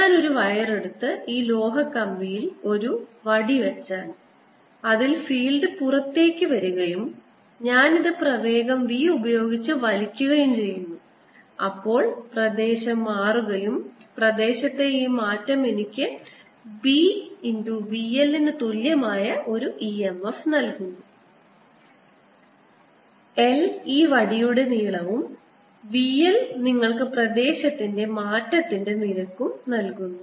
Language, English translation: Malayalam, if i take a wire and put a rod on this metallic rod in which the field is coming out, and i pull this with velocity v, then the area is changing and this change in area gives me an e m f which is equal to b v times l, where l is the length of this rod, v l gives you the rate of change of area and the direction of current is going to be such that it changes